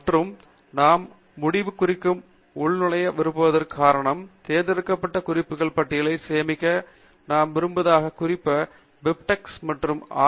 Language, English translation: Tamil, And the reason why we want to login to End Note is because we want to save the selected references as lists and we want to export those lists in different formats particularly BibTeX and RIS formats